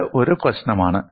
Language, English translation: Malayalam, This is one problem